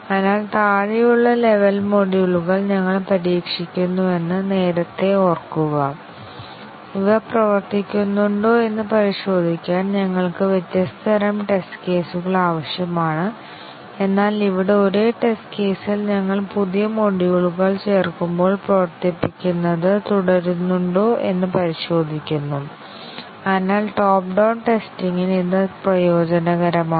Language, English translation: Malayalam, So, earlier remember that we are testing the bottom level modules we are needing different types of test cases to check whether these are working, but here in the same test case we just keep on running with while adding new modules and we check whether those are working, so that is advantageous for top down testing